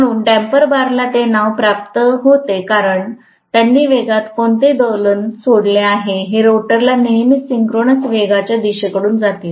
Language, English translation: Marathi, So damper bar gets that name because they damp out any oscillation in the speed, it is going to make sure that it is going to aid the rotor always goes towards synchronous speed